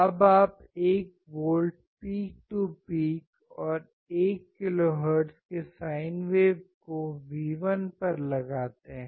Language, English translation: Hindi, Now you apply 1 volt peak to peak sine wave at 1 kilohertz to V1